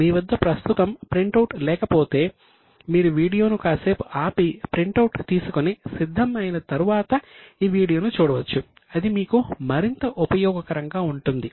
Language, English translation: Telugu, If you don't have a printout right now, you can stop the video, take the printout, be ready and then see this video, then it will be more useful to you